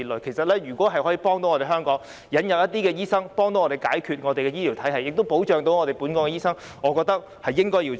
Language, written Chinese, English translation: Cantonese, 其實，如果能夠引入一些醫生，協助解決香港的醫療體系問題，並同時保障香港本地醫生，我認為是應該要做的。, In fact if some doctors can be imported to help resolve the problem in the healthcare sector in Hong Kong while at the same time protecting local doctors this I think is what should be done